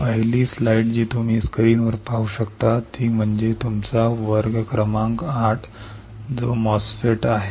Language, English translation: Marathi, The first slide which you can see on the screen and that is your class number eight which is the MOSFETs